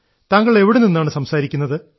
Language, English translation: Malayalam, Where are you speaking from